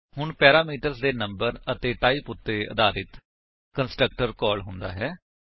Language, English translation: Punjabi, So depending on the type and number of parameters, the constructor is called